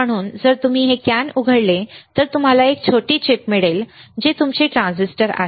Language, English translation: Marathi, So if you open this can, you will find a small chip which is your transistor